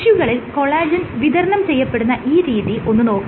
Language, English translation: Malayalam, If you look at the collagen distribution in tissues, what you find